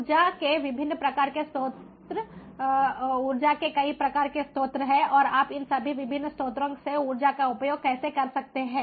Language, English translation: Hindi, sources of energy, ambient sources of energy are there and how you can harness the energy from all of these different sources